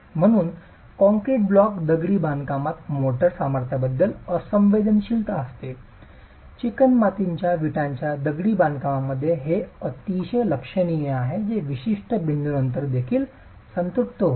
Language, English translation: Marathi, That is why there is an insensitivity to the motor strength in concrete block masonry whereas in clay brick masonry it is quite significant which also saturates after a certain point